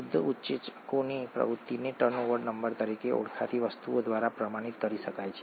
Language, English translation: Gujarati, The activity of pure enzymes can be quantified by something called a turnover number